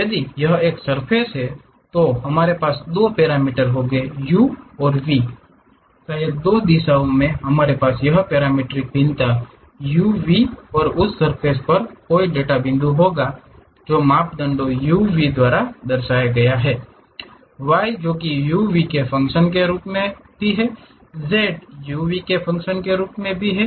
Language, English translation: Hindi, If it is a surface we will be having two parameters u and v; maybe in two directions we will have this parametric variation u, v and any data point on that surface represented by two parameters u, v; y is also as a function of u, v; z also as a function of u, v